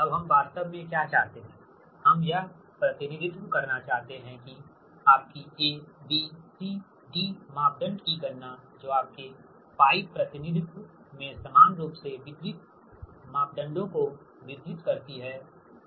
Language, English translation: Hindi, now, what we want actually, we want to represent this, that that your exact, your calculation of a, b, c, d parameter that distribute, uniformly distributed parameters, right in your pi representation